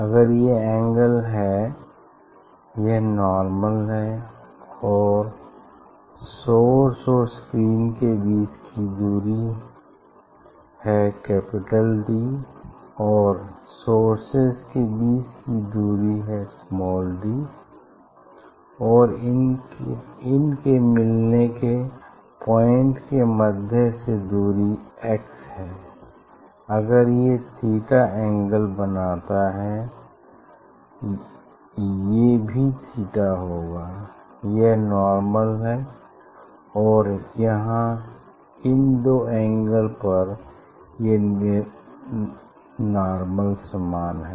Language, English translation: Hindi, that if this angle is comes this is the normal distance between the source and screen if it is capital D and this source distance is small d and that their meeting point is at from the centre it is x distance if it makes angle theta